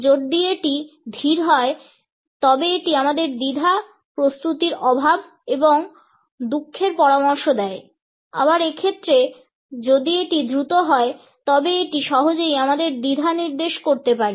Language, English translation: Bengali, If it is slow then it suggest our hesitation, our lack of preparedness, our sorrow for instance, if it is fast it can easily indicate our hesitation